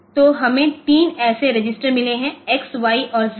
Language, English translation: Hindi, So, we have got three such registers, X, y and z